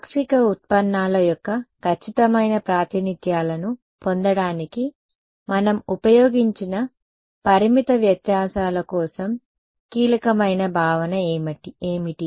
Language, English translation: Telugu, What are the key concept for finite differences that we used to get accurate representations of the partial derivatives